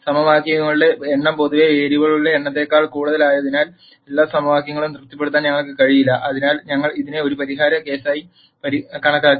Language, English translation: Malayalam, Since the number of equations is greater than the number of variables in general, we will not be able to satisfy all the equations; hence we termed this as a no solution case